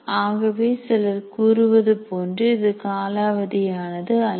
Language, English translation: Tamil, So it is not something that is outdated as some people claim